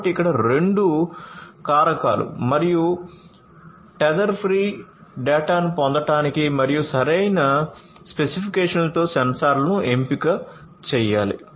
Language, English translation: Telugu, So, here two factors should be considered obtaining seamless and tether free data and selection of sensors with proper specifications